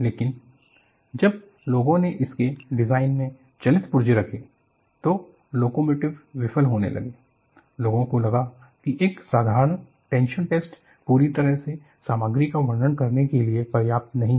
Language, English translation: Hindi, But once people had moving parts in their design, like locomotive started failing, people felt a simple tension test is not sufficient to characterize the material completely